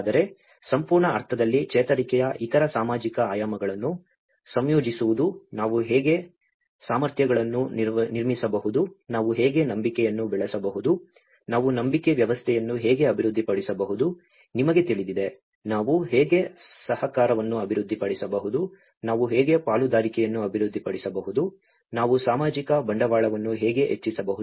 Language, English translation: Kannada, But in a more complete sense incorporating other social dimensions of recovery, how we can build the capacities, how we can build trust, how we can develop the belief systems, you know, how we can develop cooperation, how we can develop the partnership, how we can enhance the social capital